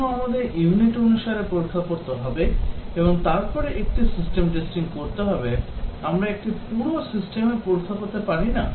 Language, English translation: Bengali, Why do we have to test unit wise and then do a system testing, cannot we just do a thorough system testing